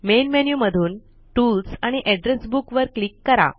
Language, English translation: Marathi, From the Main menu, click on Tools and Address Book